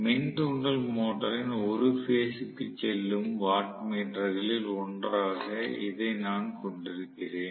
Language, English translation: Tamil, So, I am going to have actually this as 1 of the wattmeters which is going to one of the phases of the induction motor